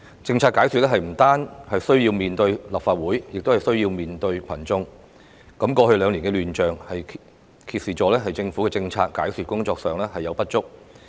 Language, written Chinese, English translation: Cantonese, 政策解說不單需要面對立法會，亦需要面對群眾。過去兩年的亂象，揭示了政府在政策解說工作上的不足。, Policy explanations must be made to not only the Legislative Council but also the masses and the disorder seen over the past two years was indicative of the Governments inadequacies in policy explanations